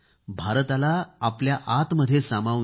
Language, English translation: Marathi, Internalize India within yourselves